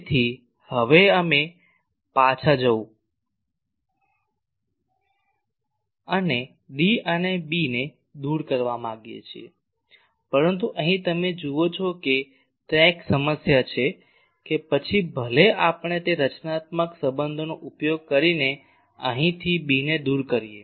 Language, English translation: Gujarati, So, now we want to go back and eliminate D and B, so but here you see there is a problem that even if we eliminate B from here by using that constitutive relations